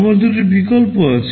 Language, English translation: Bengali, I have two alternatives